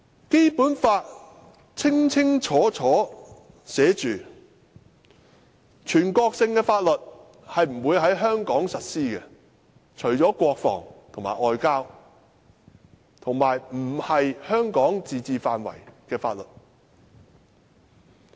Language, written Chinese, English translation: Cantonese, 《基本法》清楚訂明，全國性法律不會在香港實施，除了國防和外交，以及不屬香港自治範圍的法律。, The Basic Law clearly provides that national laws shall not be applied in Hong Kong except for those relating to defence and foreign affairs and those outside the limits of the autonomy of Hong Kong